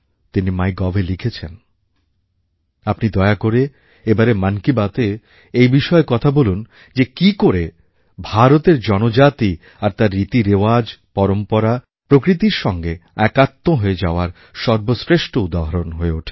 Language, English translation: Bengali, He wrote on Mygov Please take up the topic "in Mann Ki Baat" as to how the tribes and their traditions and rituals are the best examples of coexistence with the nature